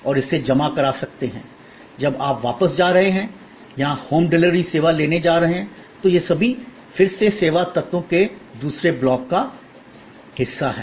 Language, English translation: Hindi, You want to deposit it and collect it, when you are going back or pick up of home delivery service, all these are again part of the another block of service elements